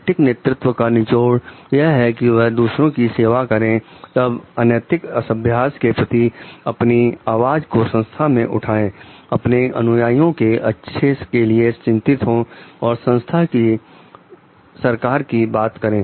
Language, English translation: Hindi, The essence of ethical leadership is on serving others then raises voice against unethical practices in the organization concerns about the followers good and a world with government of the organization